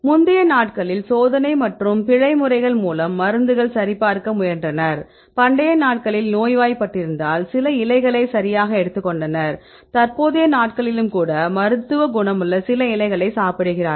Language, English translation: Tamil, Earlier days they tried to check the drugs by trial and error methods, in ancient days if they are sick they take some leaves right and they eat some of the leaves even nowadays right many medicinal compounds right